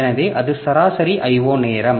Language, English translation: Tamil, So, that is the average I